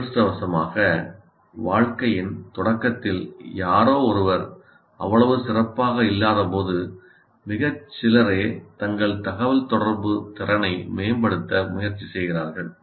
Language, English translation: Tamil, Unfortunately, once again, when somebody is not so good at the beginning when he enters the career with regard to communication, very few people make an attempt to improve their communicative competence